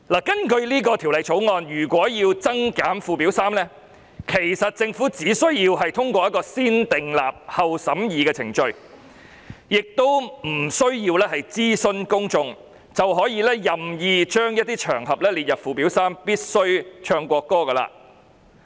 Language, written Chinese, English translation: Cantonese, 根據《條例草案》，如果要增減附表3的內容，其實政府只需要通過"先訂立後審議"的程序，不需要諮詢公眾，便可以任意將一些場合列入附表3。, In accordance with the Bill the Government can make additions or deletions to the contents of Schedule 3 by negative vetting . It may add other occasions to Schedule 3 arbitrarily without any public consultation